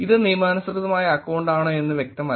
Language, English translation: Malayalam, It is not clear whether it is a legitimate account